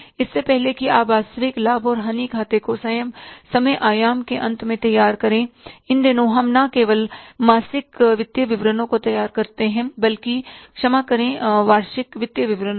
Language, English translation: Hindi, Before you prepare the real profit and loss account at the end of the time horizon, these days we don't prepare only monthly financial statements, sorry, annual financial statements